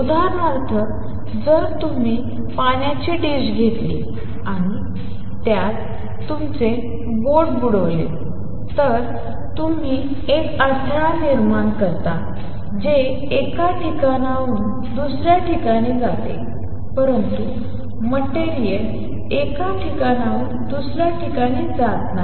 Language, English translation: Marathi, For example, if you take a dish of water and dip your finger in it, you create a disturbance that travels from one place to another, but material does not go from one place to the other